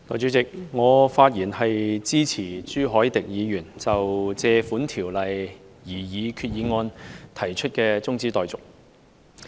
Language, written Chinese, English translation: Cantonese, 代理主席，我發言支持朱凱廸議員就根據《借款條例》動議的擬議決議案提出的中止待續議案。, Deputy President I rise to speak in support of the adjournment motion proposed by Mr CHU Hoi - dick in respect of the proposed Resolution moved under the Loans Ordinance